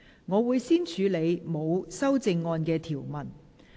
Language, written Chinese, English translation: Cantonese, 我會先處理沒有修正案的條文。, I will first deal with the clauses with no amendments